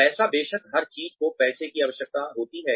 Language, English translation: Hindi, Money, of course, everybody requires money